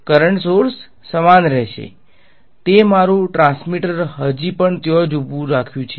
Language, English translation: Gujarati, The current sources will remain the same; I may have kept my transmitter still standing out there right